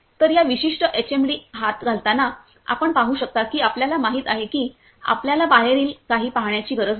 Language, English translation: Marathi, So, while wearing this particular HMD inside you can see that you know you do not have to see outside anything